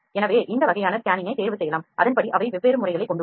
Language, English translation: Tamil, So, these kind of scanning’s can be selected accordingly they are different methods you can go through this